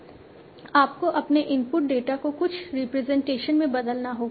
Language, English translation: Hindi, You have to convert your input data in some representation